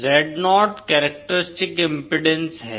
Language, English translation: Hindi, Zo is the characteristic impedance